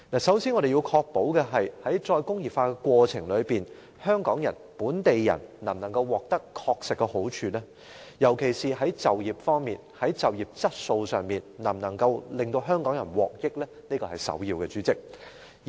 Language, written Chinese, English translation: Cantonese, 首先，我們要確保在實現"再工業化"的過程中，香港人亦即本地人確實能夠得到好處，尤其是在就業方面和就業質素方面，香港人能夠受惠。, First of all we must ensure that the people of Hong Kong that is local people can be benefited in the course of re - industrialization particularly in terms of employment and quality of employment